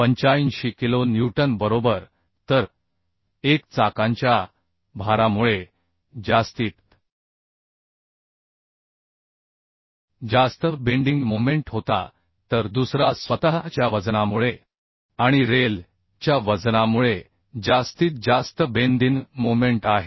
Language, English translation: Marathi, 85 kilonewton right So one was the maximum bending moment due to the wheel load another is the maximum bending moment due to self weight and and rail weight right So this is 14